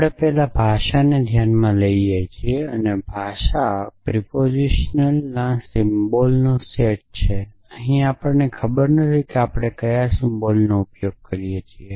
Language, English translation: Gujarati, We first look at the language and the language is made up set of propositional symbols I do not remember what the symbol we use anyways